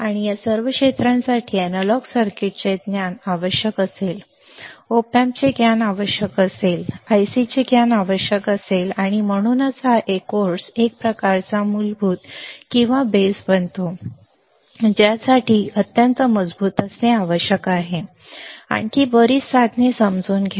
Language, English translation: Marathi, And all this area more or less will require the knowledge of analog circuits, will require the knowledge of op amps, will require the knowledge of ICs and that is why this course becomes kind of basic or the base that needs to be extremely strong to understand further several devices, to understand several other devices all right